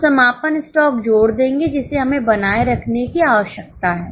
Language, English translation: Hindi, We will add the closing stock which we need to maintain